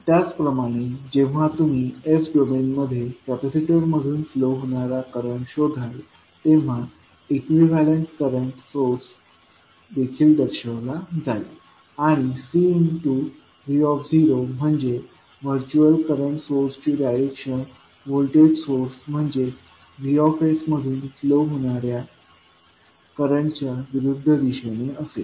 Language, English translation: Marathi, Similarly, the equivalent current source will also be represented when you are finding out the current flowing through the capacitor in s domain and C v naught that is the virtual current source will have the direction of current opposite to the flowing from the voltage source that is V s